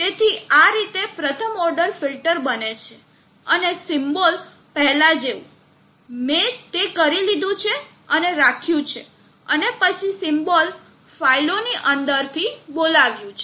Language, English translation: Gujarati, So in this way the first order filter is done and the symbols for the like before, I have already done that and kept and then called it from within the symbols files